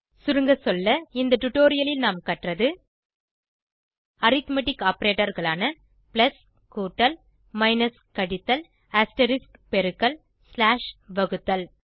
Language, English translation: Tamil, Lets summarize In this tutorial we have learnt about Arithmetic Operators plus minus astreisk slash standing for addition, subtraction, multiplication, division